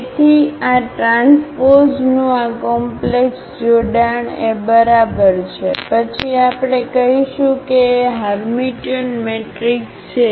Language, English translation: Gujarati, So, this complex conjugate of this transpose is equal to A, then we call that A is Hermitian matrix